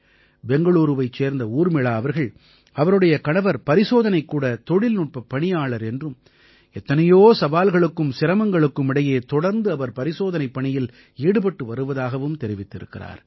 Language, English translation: Tamil, I have been told by Urmila ji from Bengaluru that her husband is a lab technician, and how he has been continuously performing task of testing in the midst of so many challenges